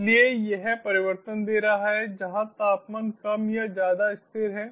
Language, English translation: Hindi, so it is giving changes where as the temperature is more or less constant